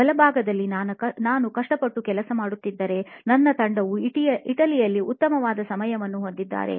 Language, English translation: Kannada, On the right hand side is me working hard, while my team was having a good time in Italy